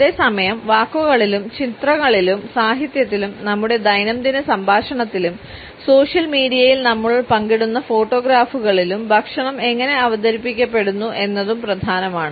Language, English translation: Malayalam, At the same time how food is presented in words and images, in literature, in our day to day dialogue, in the photographs which we share on social media etcetera is also important